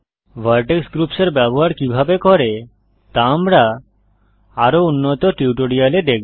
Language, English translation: Bengali, We shall see how to use Vertex groups in more advanced tutorials